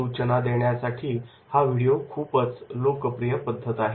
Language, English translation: Marathi, Video is a popular instructional method